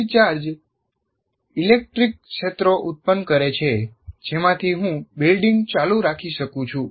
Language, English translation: Gujarati, And the static charges produce electric fields and then like this I can keep on building